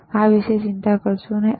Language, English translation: Gujarati, So, do no t worry about this one